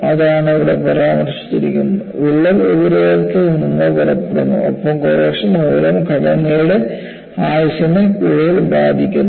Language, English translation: Malayalam, So, that is what is mentioned here, the crack proceeds from the surface and the component life is further affected due to corrosion